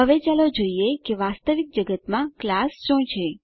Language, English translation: Gujarati, Now let us see what is a class in real world